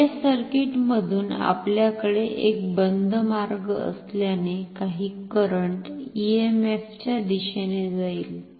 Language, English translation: Marathi, Since, we have a closed path through the external circuit, some current will flow in the direction of the EMF